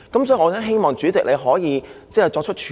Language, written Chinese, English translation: Cantonese, 所以，我希望主席你可以作出處理。, Therefore I hope that President can do something about it